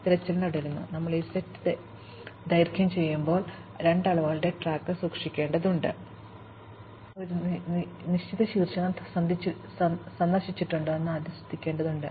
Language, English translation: Malayalam, Now, while we are doing this exploration, we have to keep track of two quantities, we have to first note of course, whether a given vertex has been visited